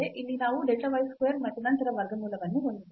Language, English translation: Kannada, Here we have delta y square as well and then the square root